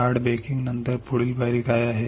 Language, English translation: Marathi, Hard baking after that what is the next step